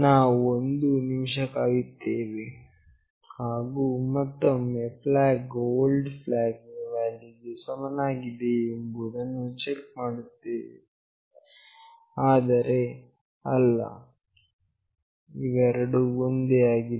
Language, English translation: Kannada, We wait for one minute, and again check flag not equal to old flag value, but no both are same